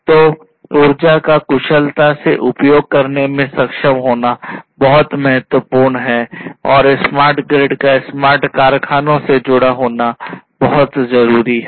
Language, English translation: Hindi, So, being able to efficiently use the energy is very important and smart grid is having smart grids connected to the smart factories is very important